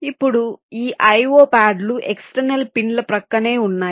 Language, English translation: Telugu, now this i o pads are located adjacent to the external pins